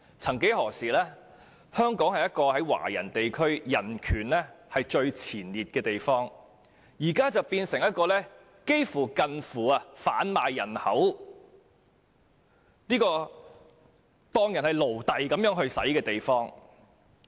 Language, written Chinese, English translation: Cantonese, 曾幾何時，香港是在華人地區中人權排名居首的地方，現在卻變成一個近乎販賣人口和把人當成奴隸的地方。, Once upon a time Hong Kong ranked first in terms of human rights among Chinese regions . But nowadays it has virtually become a human trafficking hub where people are enslaved